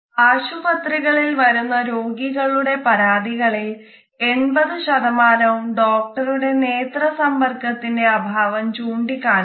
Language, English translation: Malayalam, 80 percent of all patient complaints in hospitals mention a lack of eye contact between the doctor and the